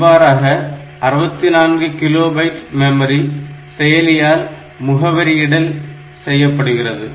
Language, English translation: Tamil, So, that way you can say it is 64 kilo byte of memory can be addressed by the processor